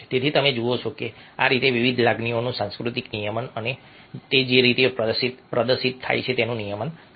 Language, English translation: Gujarati, so you see that these, this how cultural regulation of different emotions and the way they are displayed are regulated